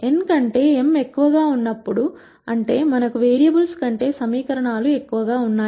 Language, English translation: Telugu, When m is greater than n; that means, we have more equations than variables